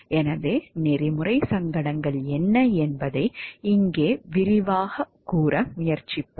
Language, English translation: Tamil, So, here we will try to elaborate on what are ethical dilemmas